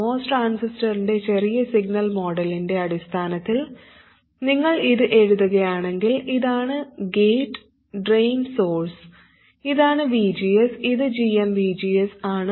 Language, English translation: Malayalam, If you write it in terms of the small signal model of the most transistor, this is the gate, drain and source, this is VGS, and this is GM VGS